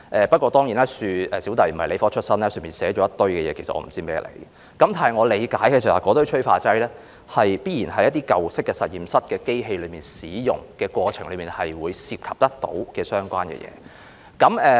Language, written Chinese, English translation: Cantonese, 不過，我本人不是理科出身，對於當中的一些內容不甚理解，只知道那些催化劑必然是一些舊式實驗室在使用機器的過程中會涉及的東西。, Yet not being a science guy I do not quite understand such contents and only know that those catalysts must be something involved in the use of machinery by some old - fashioned laboratories